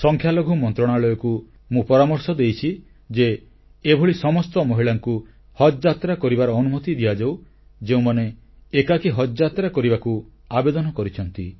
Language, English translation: Odia, I have suggested to the Ministry of Minority Affairs that they should ensure that all women who have applied to travel alone be allowed to perform Haj